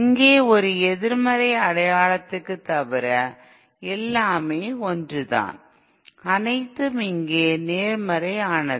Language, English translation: Tamil, Here everything is same except instead of a negative sign, it is all positive here